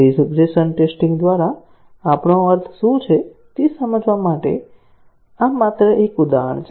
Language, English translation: Gujarati, This is just an example to illustrate what exactly we mean by regression testing